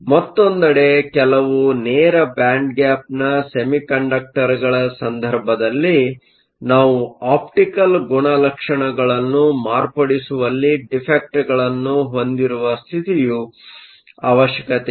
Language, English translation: Kannada, On the other hand, in the case of some direct band gap semiconductors, we can have defect states in them that can modify the optical properties, in such cases defects states are good